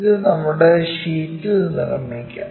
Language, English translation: Malayalam, Let us construct that on our sheet